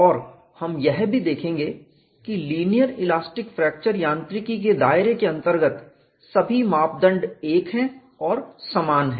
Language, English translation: Hindi, So, this brings in a set of comfort that within the confines of linear elastic fracture mechanics, all these seemingly different parameters or interrelated